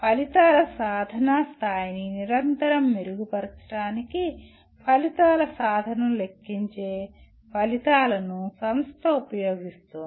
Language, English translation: Telugu, The institution uses the results of calculating the attainment of outcomes to continuously improve the levels of outcome attainment